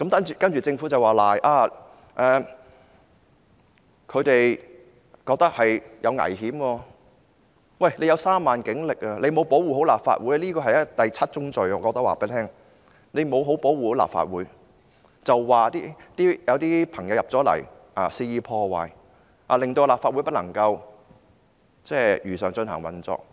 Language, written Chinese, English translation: Cantonese, 政府擁有3萬警力，沒有好好保護立法會，我可以告訴她，這是第七宗罪，她沒有好好保護立法會，卻說有些人進入立法會大樓肆意破壞，導致立法會不能如常運作。, The Government possessed a police force of 30 000 people but failed to properly protect the Legislative Council Complex . I can tell her that this is crime number seven and that is instead of properly protecting the Legislative Council Complex she said some people had entered the Legislative Council Complex to inflict damages wantonly to the extent that the Legislative Council was unable to operate normally